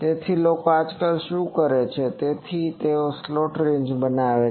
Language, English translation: Gujarati, So, people nowadays what they do, so they make the slant ranges